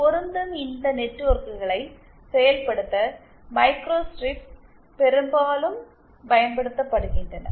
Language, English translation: Tamil, Microstrips are often used for implementing these matching networks